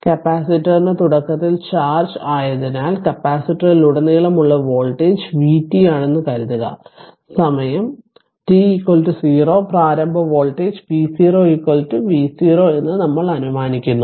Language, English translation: Malayalam, Now so, assume that the voltage across the capacitor is vt since the capacitor is initially charged we assume that time t is equal to 0 the initial voltage V 0 is equal to V 0 right